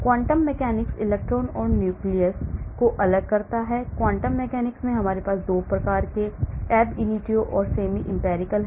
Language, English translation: Hindi, Quantum mechanics differentiates electrons and nucleus, in quantum mechanics we have 2 types ab initio and semi empirical